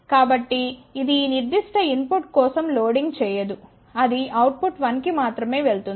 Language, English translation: Telugu, So, it will not do the loading for this particular input it will go to the output 1 only